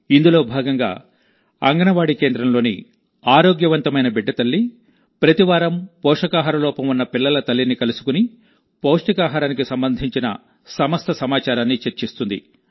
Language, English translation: Telugu, Under this, the mother of a healthy child from an Anganwadi center meets the mother of a malnourished child every week and discusses all the nutrition related information